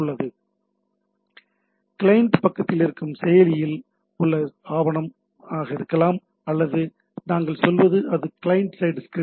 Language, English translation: Tamil, Similarly, there can be active document which are at the client side or what we say it is a client side script right